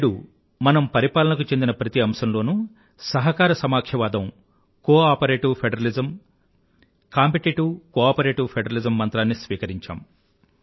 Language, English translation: Telugu, Today, we have adopted in all aspects of governance the mantra of cooperative federalism and going a step further, we have adopted competitive cooperative federalism but most importantly, Dr